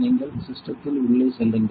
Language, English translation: Tamil, You go just go system in and